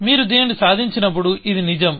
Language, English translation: Telugu, So, when you achieved this, this is true